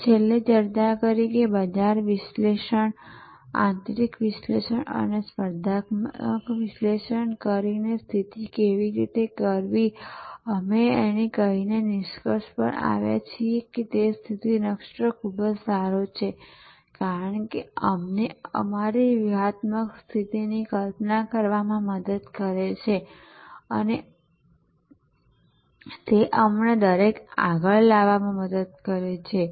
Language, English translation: Gujarati, And lastly we discussed, how to do the positioning by doing market analysis internal analysis and competitive analysis and we concluded by saying, that positioning map is very good, because it helps us to visualise our strategic position and it helps us to bring everybody on the same page within the organization and it helps us portray to the customer, what we stand for